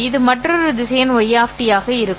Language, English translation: Tamil, This would be another vector, Y of T